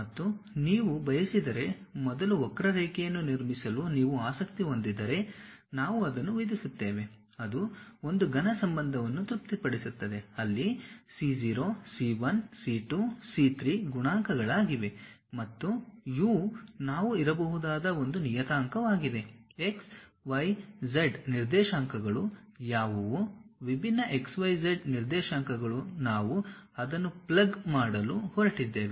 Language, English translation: Kannada, And if you want to, if you are interested in constructing a curve first, then we will impose that, it satisfy a cubic relation where c0, c 1, c 2, c 3 are the coefficients and u is a parameter which we might be in a position to say it like, what are the x y z coordinates, different x y z coordinates we are going to plug it